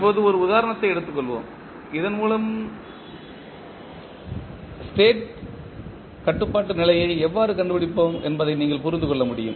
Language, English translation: Tamil, Now, let us take one example so that you can understand how we find the State controllability condition